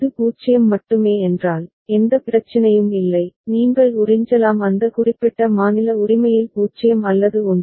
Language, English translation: Tamil, If it is only 0, there is no issue, you can absorb that 0 or 1 within that particular state right